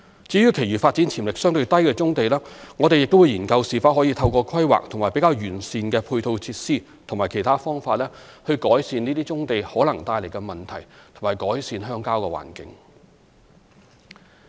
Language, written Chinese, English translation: Cantonese, 至於其餘發展潛力相對低的棕地，我們亦會研究是否可透過規劃和較完善的配套設施及其他方法，改善這些棕地可能帶來的問題及改善鄉郊環境。, With regard to the remaining brownfield sites with a relatively low development potential a study will be conducted to ascertain if the problems surrounding these sites and the rural environment can be improved through the implementation of planning measures the provision of more comprehensive supporting facilities and other methods